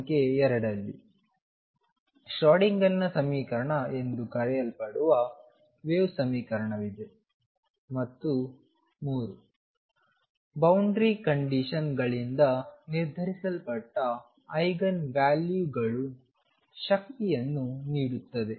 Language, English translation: Kannada, Number 2 there is a wave equation known as the Schrodinger’s equation, and 3 the Eigen values determined by the boundary condition give the energies